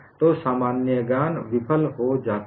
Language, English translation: Hindi, So, common sense fails